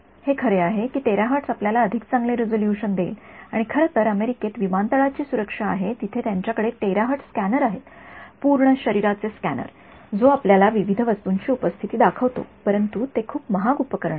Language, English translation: Marathi, It is true the terahertz will give you better resolution and in fact, there are these airport security that the US has where they have a terahertz scanner, full body scanner, which shows you the presence of various objects right, but those are very expensive equipment